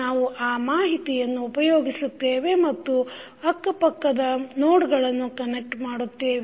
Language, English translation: Kannada, We will use that information and connect the adjacent nodes